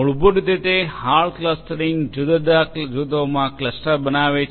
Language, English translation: Gujarati, Hard clustering basically what it does is it clusters into different distinct groups